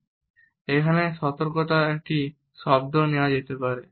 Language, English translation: Bengali, Now, a word of caution can be given over here